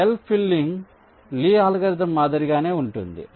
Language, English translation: Telugu, so the cell filling is similar to lees algorithm